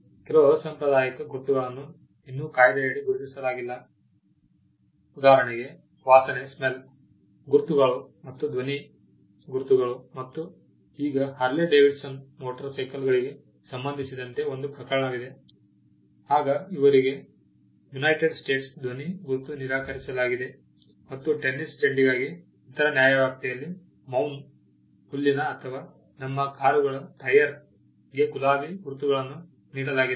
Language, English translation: Kannada, Certain other unconventional marks are still not recognized under the act; for instance, smell marks and sound marks, now there was a case involving Harley Davidson motorcycles; now they were denied a sound mark in the United States and there is instances of spell marks being granted in other jurisdictions for tennis ball with a scent of mown grass or with a rose scented tyre of our cars